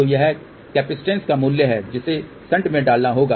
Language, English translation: Hindi, So, this is the value of the capacitance which has to be put a shunt